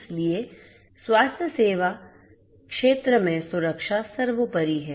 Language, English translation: Hindi, So, security is paramount in the healthcare sector